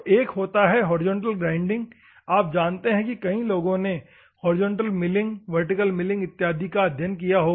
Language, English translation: Hindi, One is horizontal grinding; you know many people might have studied horizontal milling, vertical milling other things, and all those things